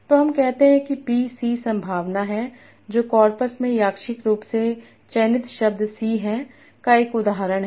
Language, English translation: Hindi, So let us say PC is the probability that we randomly selected word in the corpus is an instance of C